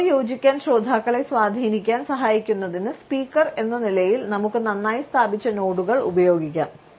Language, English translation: Malayalam, And as the speaker we can use well placed nods to help influence the listeners to agree with us